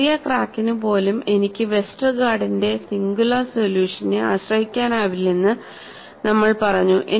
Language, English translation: Malayalam, We said even for short cracks I cannot rely on Westergaard singular solution, I have to have minimum of 2 parameters